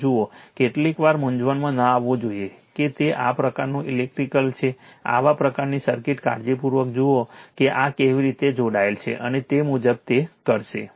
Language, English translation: Gujarati, Look at that, sometimes you should not be confused looking is such kind of electrical, such kind of circuit see carefully how this is connected and accordingly you will do it